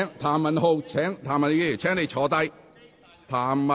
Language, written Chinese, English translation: Cantonese, 譚文豪議員，請坐下。, Mr Jeremy TAM please sit down